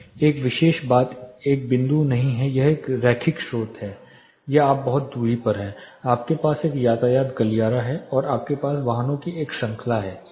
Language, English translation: Hindi, This particular thing is not a point it is a linear source or you are at certain distance, you have a traffic corridor, and you have a series of vehicles